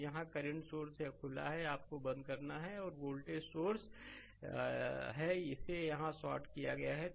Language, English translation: Hindi, So, current source here, it is open you have to turned off and voltage source, it is shorted here it is shorted right